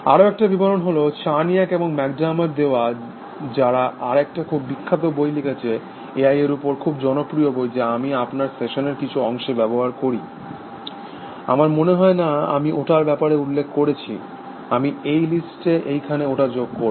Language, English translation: Bengali, And one more definition, which is due to Charniak and McDermott, who also wrote a very famous book, on A I very popular book which, I use for part of my session, I do not think I mentioned it may be I should added to the list there